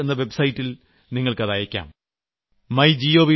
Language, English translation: Malayalam, Do send a picture of it on 'Narendra Modi app